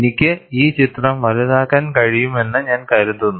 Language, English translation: Malayalam, And I think, I can enlarge this picture